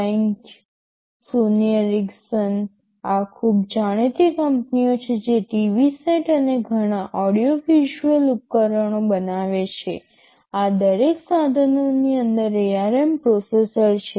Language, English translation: Gujarati, Benq, Sony Ericsson these are very well known companies they who manufacture TV sets and many audio visual other equipments, there are ARM processors inside each of these equipments